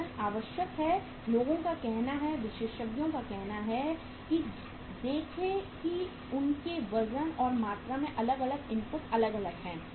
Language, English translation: Hindi, Weights are required people say experts say that see that different inputs are different in their weights and volumes